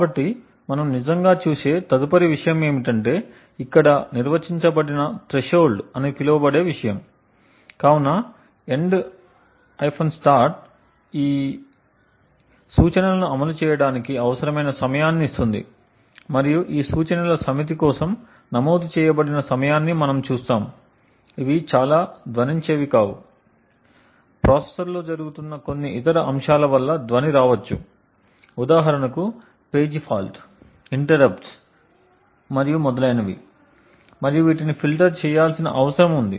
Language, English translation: Telugu, So that being said the next thing we actually look at is there is something known as a threshold which is also defined, so the end start gives you the time required to execute these 8 instructions and we see that the time recorded for this set of instructions may be extremely noisy, the noise may come due to certain other aspects which are going on in the processor for example a page fault, interrupts and so on and these needs to be filtered out, so the threshold value should be selected on per processor basis or per system basis and it does not need to be very accurate